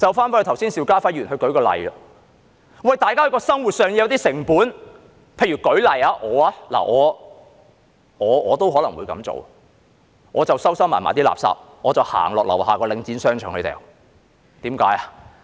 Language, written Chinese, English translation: Cantonese, 以剛才邵家輝議員列舉的例子來說，大家在生活上會有些成本，我也可能會這樣做，就是把垃圾收藏起來，再走到樓下的領展商場棄置。, From the example cited by Mr SHIU Ka - fai just now we know that some costs will be incurred by the public in their living and what I may do is that I will hide my rubbish and then carry it to a shopping arcade of the Link and dump it there